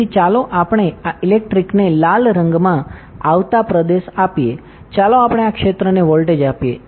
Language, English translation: Gujarati, So, as this let us give electric the region coming in red colour, let us give this region the voltage